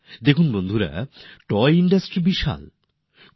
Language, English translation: Bengali, Friends, the toy Industry is very vast